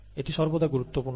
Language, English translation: Bengali, It is always important